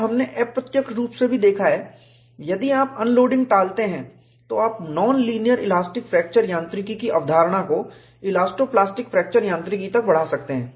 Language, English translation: Hindi, And you have also indirectly seen, if you avoid unloading, you can extend the concept of linear elastic fracture mechanics, non linear elastic fracture mechanics to elasto plastic fracture mechanics